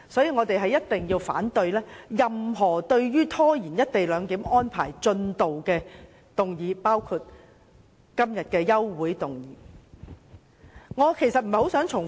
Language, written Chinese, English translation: Cantonese, 我們反對任何拖延落實"一地兩檢"的議案，包括今天的休會待續議案。, We oppose any motion that stalls the implementation of the co - location arrangement including todays adjournment motion